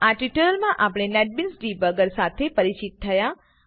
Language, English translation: Gujarati, In this tutorial, we became familiar with the netbeans debugger